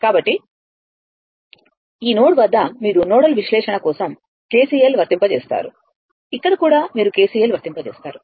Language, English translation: Telugu, So, at this node, you apply for your nodal analysis KCL here also you apply for KCL